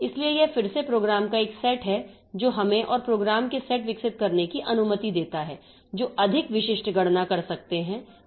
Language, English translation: Hindi, So, it is again a set of programs that allows us to develop further set of programs that may be doing more specific computation